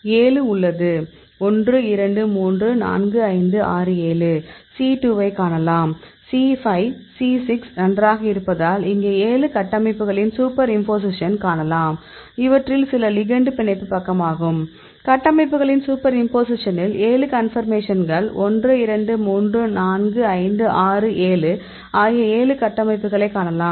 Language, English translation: Tamil, So, we have a 7; 1, 2, 3, 4, 5, 6, 7 you can see C 2; C 5, C 6 because this is fine; here you can see the superimposition of all the seven structures, some of them are; this is the ligand binding side; you can see the superimposition of the structures